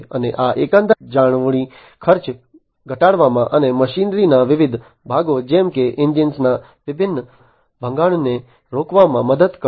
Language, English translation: Gujarati, And that this will help in reducing the overall maintenance cost, and preventing different breakdown of different machinery parts, such as engines